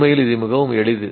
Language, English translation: Tamil, Actually, it's very simple